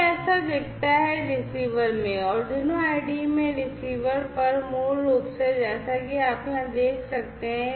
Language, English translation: Hindi, This is how it looks like at the receiver, in their Arduino IDE for the receiver end, basically, as you can see over here